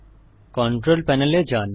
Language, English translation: Bengali, Go to the Control Panel